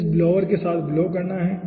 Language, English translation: Hindi, so blowing with this blower